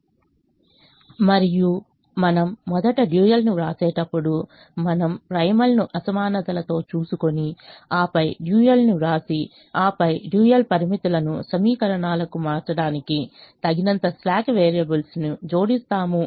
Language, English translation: Telugu, and we also have to understand that when we first write the dual, we safely write the retreat, the primal with the inequalities, and then write the dual and then add sufficient slack variables to convert the dual constraints to equations